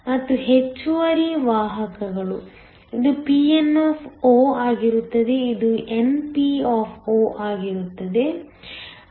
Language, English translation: Kannada, And, the extra carriers; this will be pn so, this will be np